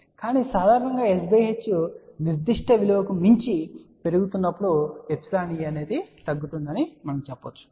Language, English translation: Telugu, But in general we can say as s by h increases beyond say 10 value epsilon e decreases